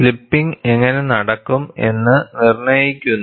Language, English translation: Malayalam, This dictates how the slipping will take place